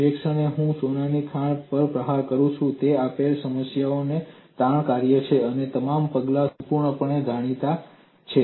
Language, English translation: Gujarati, The moment I strike a gold mine what is the stress function for a given problem, all other steps are completely known